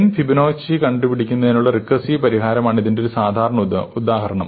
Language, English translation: Malayalam, So, a typical example of this is the recursive solution to finding the nth Fibonacci number